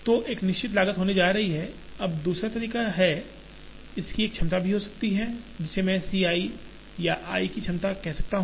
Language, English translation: Hindi, So, there is going to be a fixed cost, now the other way is, there can also be a capacity of this, which I may call as C i or capacity of i